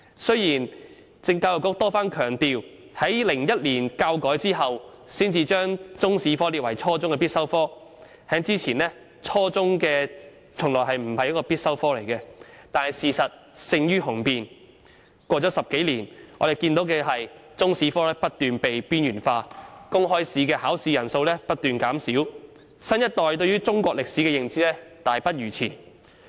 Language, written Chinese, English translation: Cantonese, 雖然教育局多番強調，在2001年教改後才把中史列為初中必修科，在此之前，中史從來不是初中必修科，但事實勝於雄辯 ，10 多年過去了，我們看到中史科不斷被邊緣化，公開試的考生人數不斷減少，新一代對中國歷史的認知大不如前。, The Education Bureau has stressed repeatedly that Chinese History was not made a compulsory subject at junior secondary level until after the education reform in 2001 before which Chinese History was never a compulsory subject at junior secondary level . However facts speak louder than words . Over the past 10 - odd years as we can see the subject of Chinese History has been continuously marginalized the number of candidates taking public examinations in the subject has been on the decline and the new generations knowledge of Chinese history has become much worse than the older generations